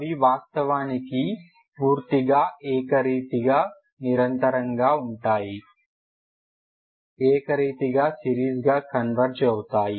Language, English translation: Telugu, They are actually and uniformly continuous, uniformly converging as a series